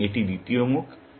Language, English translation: Bengali, So, that is the second face